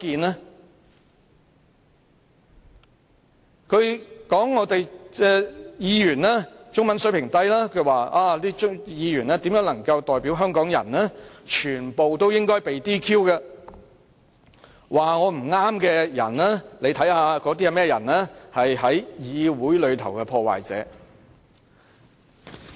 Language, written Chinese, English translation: Cantonese, 他指有關議員的中文水平低，無法代表香港人，應該全被 "DQ"， 又說批評他不對的人全是議會內的破壞者。, He criticized the relevant Members saying that they should all be disqualified as they were unable to represent Hong Kong people with their low Chinese language competence . He even added that those who had criticized him for doing something wrong were all destroyers in the legislature